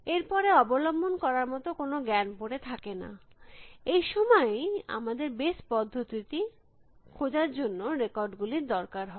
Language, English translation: Bengali, Then there is no knowledge to fall back on, it is then that we need to take records to search base method